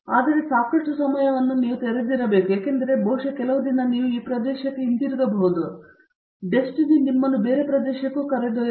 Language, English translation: Kannada, But, most of the times you have to be open enough because maybe some other day you will come back to the area or maybe destiny will take you to some other area